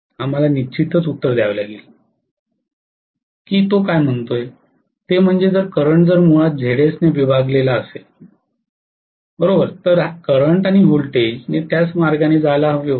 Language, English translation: Marathi, That we will have to definitely answer, what he is saying is, if the current is essentially voltage divided by Zs the current and voltage should have followed the same path